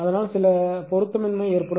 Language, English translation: Tamil, So, some mismatch will happen